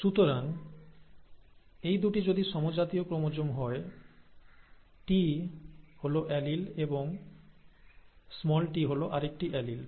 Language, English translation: Bengali, So if these two are homologous chromosomes, capital T is an allele, and small t is another allele